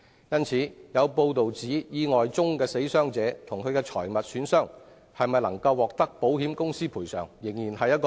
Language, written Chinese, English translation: Cantonese, 因此，有報道指意外中的死傷者及其財物損失未必獲得保險公司賠償。, Hence it has been reported that the death injuries and loss of properties in the accident might not be eligible for compensation by insurance company